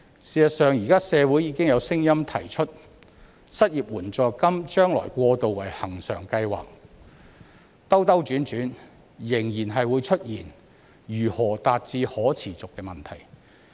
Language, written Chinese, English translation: Cantonese, 事實上，現時社會已經有聲音提出失業援助金將來過渡為恆常計劃，但兜兜轉轉仍然會出現如何達致可持續的問題。, In fact there are already voices in society now suggesting that the unemployment assistance should be turned to a permanent scheme in the future . But going round and round there is still the question about how sustainability can be achieved